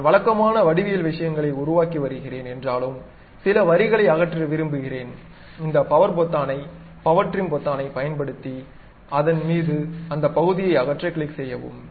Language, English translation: Tamil, So, even though I am constructing typical geometrical things, I would like to remove some of the lines, I can use this power button power trim button to really click drag over that to remove that part of it